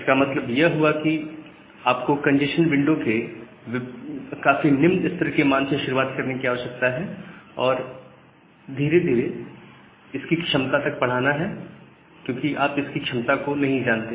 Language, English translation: Hindi, That means, you need to start from a very low value of the congestion window and gradually increase that value to reach the capacity because you do not know that capacity